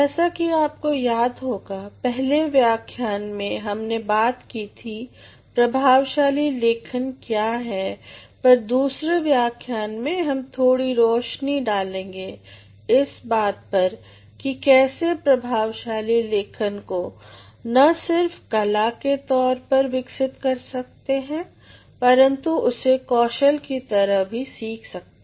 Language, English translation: Hindi, As you all remember in the first lecture, we talked about what effective writing was, but in the second lecture we will throw more light on how we can develop effective writing not only as an art but also as a skill